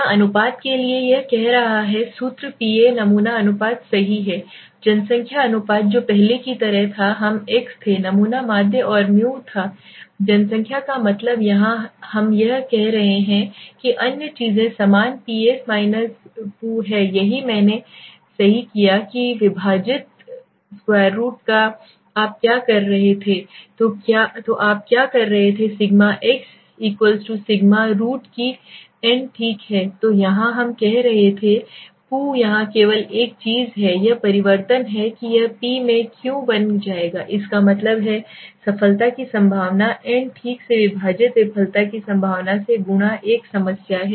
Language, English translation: Hindi, What is this saying formula for proportions Ps is the sample proportion right, Pu is the population proportion which was like the earlier we were thing x is the sample mean and mu was the population mean here we are saying this other things is same Ps Pu this is what I did right divided by v of what you were doing, you were doing sigma x = sigma v of n right so here we were saying Pu into here only thing this is changes this will become P into q that means probability of success multiply by probability of failure divided by n okay take a problem